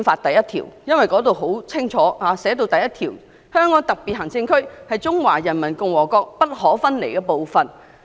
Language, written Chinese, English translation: Cantonese, 《基本法》第一條清楚訂明："香港特別行政區是中華人民共和國不可分離的部分。, Article 1 of the Basic Law clearly states that [t]he Hong Kong Special Administrative Region is an inalienable part of the Peoples Republic of China